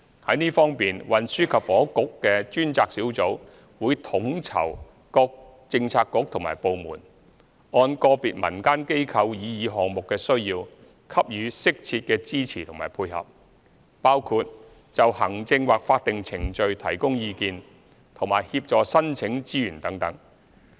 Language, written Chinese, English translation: Cantonese, 在這方面，運輸及房屋局的專責小組會統籌各政策局和部門，按個別民間機構擬議項目的需要，給予適切的支持和配合，包括就行政或法定程序提供意見和協助申請資源等。, In this regard the task force under the Transport and Housing Bureau will coordinate the efforts of relevant Policy Bureaux and departments to provide appropriate support as required by individual projects proposed by community organizations such as tendering advice on administrative or statutory procedures and assistance in applying for resources